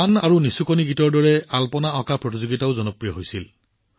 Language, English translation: Assamese, Just like songs and lullabies, the Rangoli Competition also turned out to be quite popular